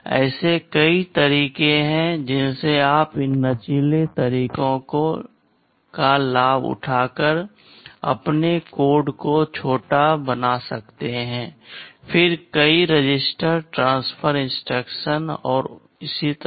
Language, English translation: Hindi, There are many ways in which you can make your code shorter by taking advantage of these flexible methods, then the multiple register transfer instructions, and so on